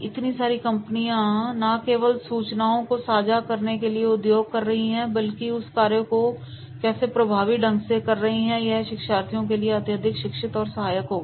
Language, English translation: Hindi, So, many companies are using that is not only just for the sharing the information, but how to do that particular task is more effectively and this will be highly educating and supporting for the learners